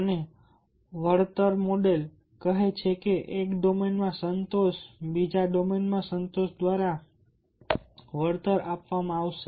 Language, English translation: Gujarati, the compensation model speaks that the satisfaction in one domain will compensated by the satisfaction in another domain